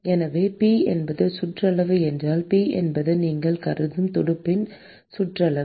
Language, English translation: Tamil, So, if P is the perimeter P is the perimeter of the fin that you are considering